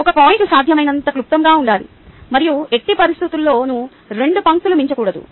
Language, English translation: Telugu, a point should be as succinct as possible and in no case should exceed two lines